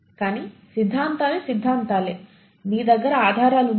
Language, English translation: Telugu, But theories are theories, do you have evidence